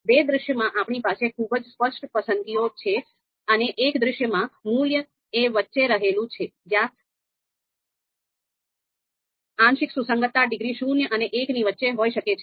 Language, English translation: Gujarati, So, two scenarios very clear preference and the one scenario lies in between where the partial concordance degree can be between zero and one